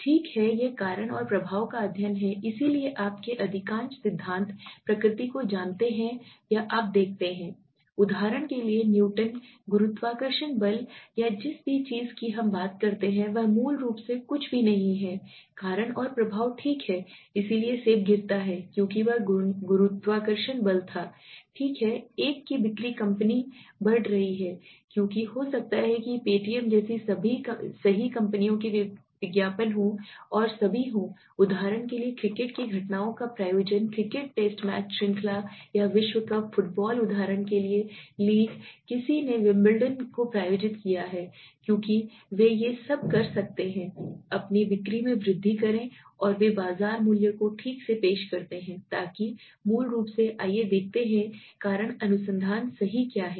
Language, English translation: Hindi, Okay it is cause and effect study so most of the principles of you know nature or you see for example the Newton s, gravitational force or anything we talk about is basically nothing like a cause and effect right so the apple fall because there was a gravitational force okay the sales of a company increases because of may be advertising right companies like paytm and all are sponsoring cricket events for example the cricket test match series or the world cup, the football league for example somebody is sponsoring the Wimbledon all these they are doing because to increase their sales and they present brand value in the market okay so basically what is let s see what is the causal research right